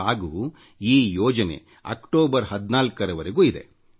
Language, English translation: Kannada, And this scheme is valid till the 14th of October